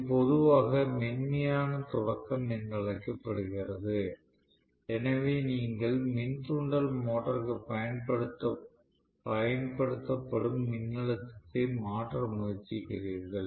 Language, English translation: Tamil, This is also generally termed as soft start, so you are essentially trying to look at changing the voltage that is being applied to the induction motor